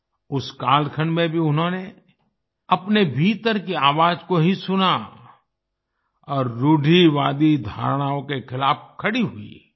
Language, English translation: Hindi, Even during that period, she listened to her inner voice and stood against conservative notions